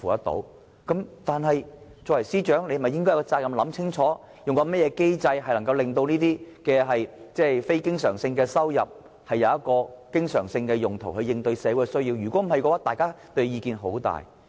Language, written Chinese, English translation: Cantonese, 但是，身為司長，他有責任想清楚用甚麼機制，能夠令這些非經常性收入轉化成經常性用途來應對社會的需要，否則，大家會很有意見。, But as the Financial Secretary he has the responsibility to carefully find a mechanism that can use non - recurrent revenues on projects that involve recurrent expenditures so as to meet the needs of society . If not people will criticize him